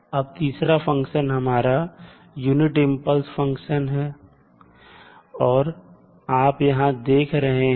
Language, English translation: Hindi, Now, the third function is unit impulse function